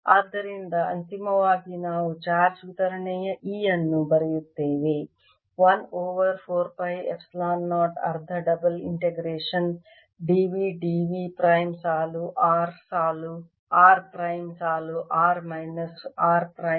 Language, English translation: Kannada, so if final expression for the energy than comes out to be one over four pi epsilon zero, one half integration row are row r prime over r minus r prime, d r d r prime